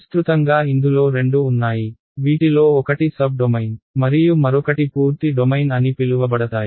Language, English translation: Telugu, There are broadly two classes one are called sub domain and the other are called full domain